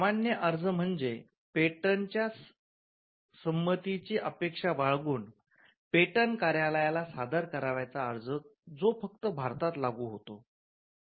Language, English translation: Marathi, The ordinary application is an application which you would make, before the Indian patent office, expecting a grant of a patent, which will have operation only in India